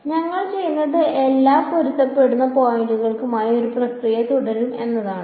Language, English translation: Malayalam, So, what we will do is we will continue this process for all the matching points